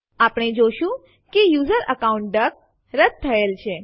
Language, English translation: Gujarati, We will find that, the user account duck has been deleted